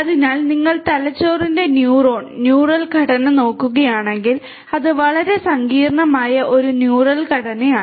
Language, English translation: Malayalam, So, if you look at the neuron, neural structure of the brain you know it is a very complicated neural structure